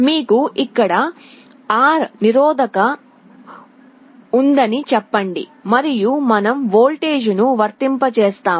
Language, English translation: Telugu, Let us say you have a resistance R here and we apply a voltage